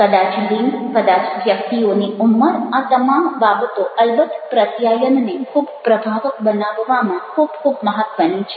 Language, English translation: Gujarati, ah may be the gender, may be the age of the persons, all such things of ah, of course, very, very important to make the communication very, very effective